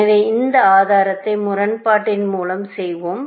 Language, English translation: Tamil, So, we will do this proof by contradiction